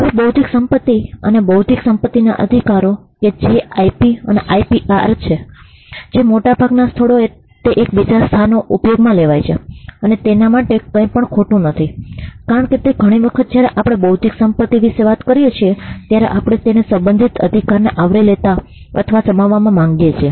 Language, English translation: Gujarati, Now intellectual property and intellectual property rights that is IP and IPR are in most places used interchangeably and there is nothing wrong with that, because many a times when we talk about intellectual property we also want to cover or encompass the corresponding rights